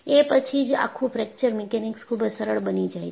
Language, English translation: Gujarati, Then, the whole of Fracture Mechanics became very simple